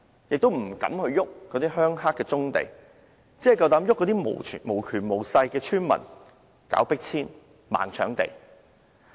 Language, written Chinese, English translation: Cantonese, 政府亦不敢碰涉及"鄉黑"的棕地，只敢碰那些無權無勢的村民，搞迫遷、"盲搶地"。, Besides the Government dares not touch brownfield sites involving rural powers and triads . The Government only dares to touch those powerless villagers and seek land blindly